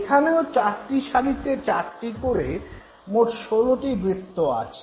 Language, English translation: Bengali, You find four circles here and finally you have 16 of them now